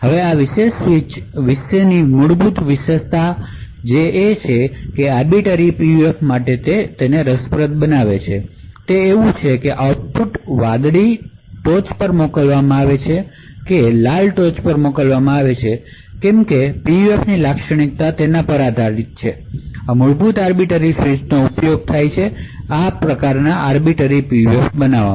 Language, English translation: Gujarati, So now the fundamental feature about this particular switch that makes it interesting for the Arbiter PUF is that these outputs whether the blue is sent on top or the red is sent on top depends on the characteristics of these PUFs, so this fundamental arbiter switch is used to build an Arbiter PUF